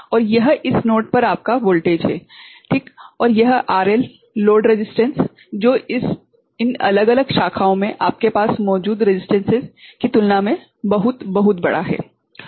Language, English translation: Hindi, And this is your the voltage at this node right and this RL load resistance is very, very large, in comparison to the resistances that you have there in this different branches ok